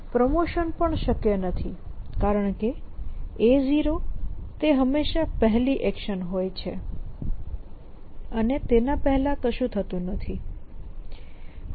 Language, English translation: Gujarati, Promotion is not possible, because A 0 is the first action which always the first action an nothing can happen before A 0